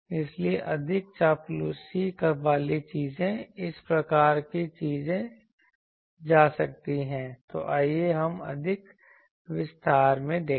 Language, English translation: Hindi, So, more flattered things so, this type of things can be done so, let us see in more detail